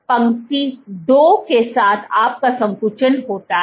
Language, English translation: Hindi, Along line 2, so along line 2 you have a contraction